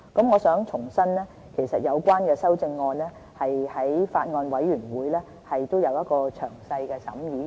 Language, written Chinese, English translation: Cantonese, 我想重申，有關修正案在法案委員會已有詳細審議。, I would like to repeat that the amendments concerned have already been scrutinized thoroughly by the Bills Committee